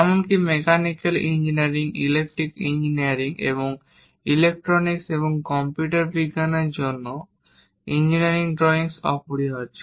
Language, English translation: Bengali, Even for mechanical engineering, electrical engineering, and electronics, and computer science engineering drawing is very essential